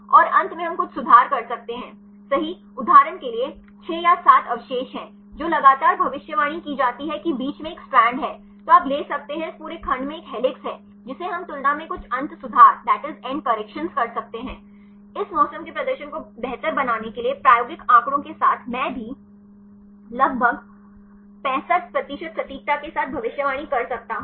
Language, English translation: Hindi, And in the end we can do some end corrections right for example, there are 6 or 7 residues which is continuously predicted helix in between there is a strand, then you can take this whole segment has an helix that we can make some end corrections compared with the experimental data right to improve the performance of the method this weather also I can predict with an accuracy of for about 65 percent